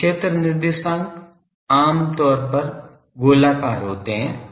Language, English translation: Hindi, So, field coordinates are generally spherical